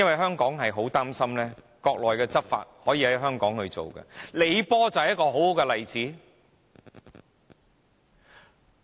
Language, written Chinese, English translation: Cantonese, 香港十分擔心國內的法例可以在香港執行，李波便是一個很好的例子。, Hong Kong people are very worried that Mainland laws can be enforced in Hong Kong . LEE Po was a good example